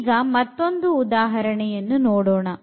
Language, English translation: Kannada, So, now coming to another example